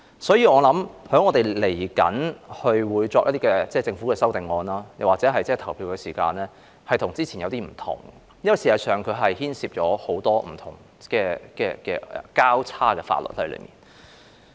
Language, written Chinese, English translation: Cantonese, 所以，我相信稍後就政府的修正案投票時，會與之前有些分別，因為事實上，當中牽涉很多不同的"交叉"法律。, Hence I believe that when we vote on the Governments amendments later they will be somewhat different from the previous ones because many different crossover laws are actually involved